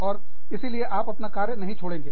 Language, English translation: Hindi, So, you do not leave the work